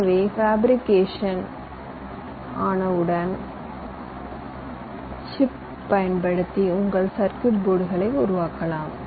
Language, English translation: Tamil, so once your fabricated, you can finally get your chips using which you can create your circuit boards